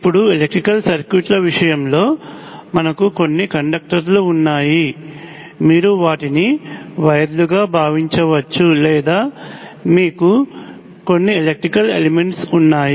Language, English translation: Telugu, Now, in case of electrical circuits, it turns out that we will have certain conductors which are you can think of them as wires or you could have some electrical elements